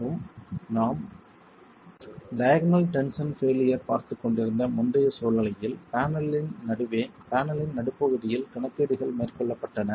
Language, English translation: Tamil, And in the earlier situation where you are looking at the diagonal tension failure, the calculations were being carried out at the mid height of the panel, in the middle of the panel